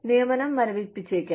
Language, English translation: Malayalam, There could be a hiring freeze